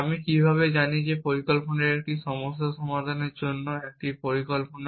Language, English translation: Bengali, How do I know that the plan is a plan for solving a problem